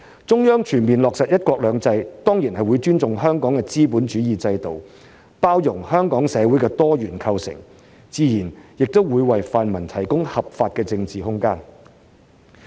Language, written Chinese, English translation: Cantonese, 中央全面落實"一國兩制"，當然會尊重香港的資本主義制度，包容香港社會的多元構成，自然也為泛民提供合法的政治空間。, The Central Authorities in fully implementing one country two systems will certainly respect Hong Kongs capitalist system and accommodate the pluralistic composition of Hong Kong society and will naturally provide the pan - democrats with lawful political space